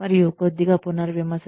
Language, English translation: Telugu, And, a little bit of revision